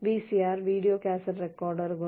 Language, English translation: Malayalam, s, Video Cassette Recorders